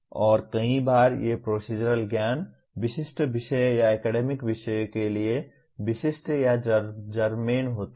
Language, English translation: Hindi, And many times, these procedural knowledge is specific or germane to particular subject matters or academic disciplines